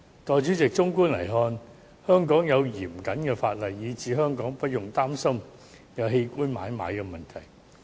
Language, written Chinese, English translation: Cantonese, 代理主席，綜觀來看，香港有嚴謹法例，使我們無須擔心香港會出現器官買賣的問題。, Deputy President on the macro level we need not worry about the problem of organ trading since Hong Kong has put stringent laws in place